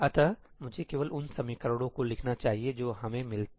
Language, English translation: Hindi, let me just write out the equations that we get